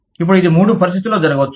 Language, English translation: Telugu, Now, this can happen, in three situations